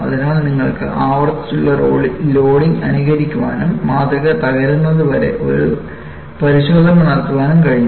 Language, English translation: Malayalam, So, you have been able to simulate a repeated loading and also perform a test until the specimen breaks